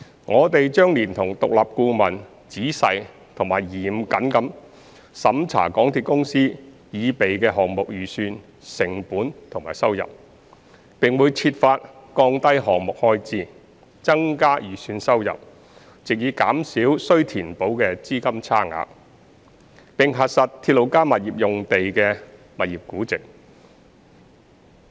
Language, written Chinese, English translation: Cantonese, 我們將連同獨立顧問仔細及嚴謹地審查港鐵公司擬備的項目預算成本及收入，並會設法降低項目開支、增加預算收入，藉以減少須填補的資金差額，並核實"鐵路加物業"用地的物業估值。, We will with the support of independent consultants examine the estimated project costs and revenue prepared by MTRCL carefully and rigorously . We will endeavour to bring down the project expenditure and increase the estimated revenue so as to narrow down the funding gap to be bridged and verify the valuation of the RP sites